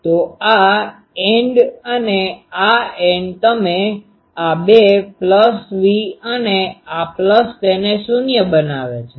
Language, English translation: Gujarati, So, these end and these end you see these two pluses V and these plus, these makes it 0